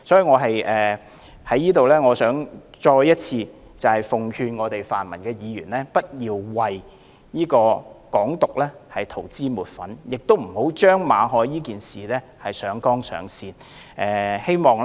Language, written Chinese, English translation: Cantonese, 我想在此再次奉勸泛民議員不要為"港獨"塗脂抹粉，亦不要將馬凱事件上綱上線。, Once again I would like to advise pan - democratic Members not to whitewash Hong Kong independence and unduly overplay the MALLET incident